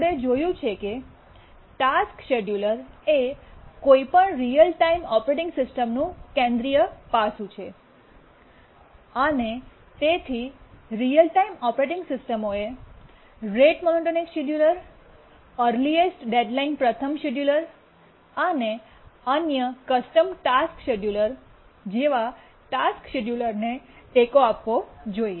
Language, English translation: Gujarati, The task scheduling support, it's seen the task scheduler is a central aspect of any real time operating system, and therefore the real time operating system should support task schedulers like rate monotonic scheduler, earliest deadline first scheduler, and other custom task schedulers